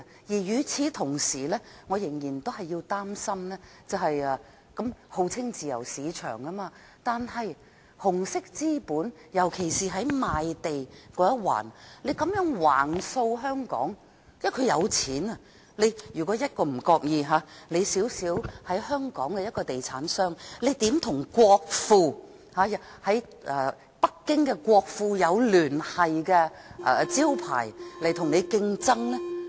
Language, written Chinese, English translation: Cantonese, 與此同時，我仍然擔心，香港號稱自由市場，但紅色資本，尤其是在賣地這一環，這樣橫掃香港，因為他們有錢，香港一個小小的地產商，如何與國庫或與北京國庫有聯繫的招牌競爭呢？, In the meantime I still have concerns . Hong Kong is known as a free market but the red capital has been sweeping across Hong Kong especially in land sales because they have money . How can a small property developer in Hong Kong compete with the national treasury or companies having connections with Beijings national treasury?